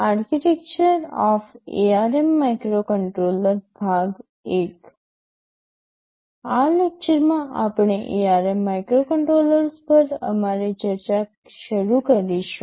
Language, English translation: Gujarati, In this lecture we shall be starting our discussion on something about the ARM microcontrollers